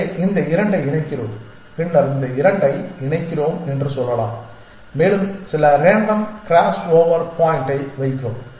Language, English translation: Tamil, So, how so let us say we pair these 2 and then we pair these 2 and we put some random crossover point